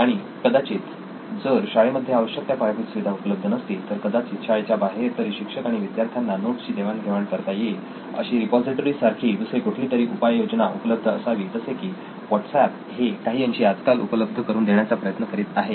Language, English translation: Marathi, And probably if the school does not have infrastructure, the students and teacher should have a common ground or a common repository like a system outside school at least where they can like what WhatsApp is partially trying to do in terms of sharing notes nowadays